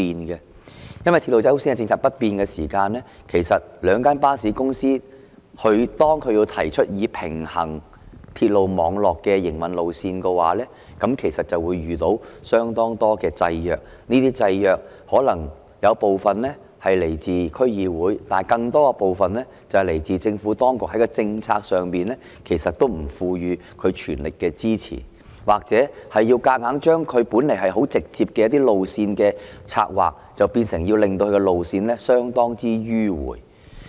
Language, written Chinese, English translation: Cantonese, 由於"鐵路優先"的政策不變，當兩間巴士公司提出平衡鐵路網絡的營運路線，便會遇到相當多制約；這些制約可能有部分是來自區議會，但更多部分是來自政府當局在政策上不全力支持，或硬要把本來十分直接的一些路線策劃變得相當迂迴曲折。, Due to the unchanged policy of according priority to railways the two bus companies encountered considerable constraints when they proposed routes parallel to the railway network . Such constraints might in part originate from District Councils but in a larger proportion stemmed from the Administrations lack of full support in terms of policy or high - handed alteration of some originally very direct route alignments to make them rather tortuous